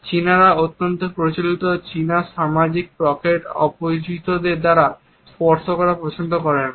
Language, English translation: Bengali, Chinese also do not like to be touched by the strangers at least in the conventional Chinese social pockets